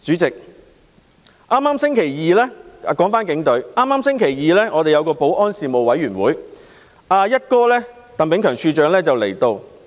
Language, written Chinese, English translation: Cantonese, 說回警隊，今個星期二舉行的保安事務委員會會議，"一哥"鄧炳強處長亦有出席。, Turning back to the Police Commissioner Chris TANG attended the Panel on Security meeting this Tuesday